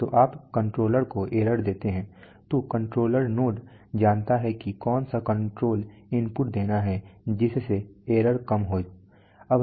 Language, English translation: Hindi, So you give the error to the controller then the controller node knows that what control input to give such that the error is minimized